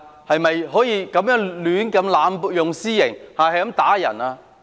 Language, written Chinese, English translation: Cantonese, 是否可以濫用私刑、胡亂打人？, Are they allowed to mete out extrajudicial punishment and assault people at will?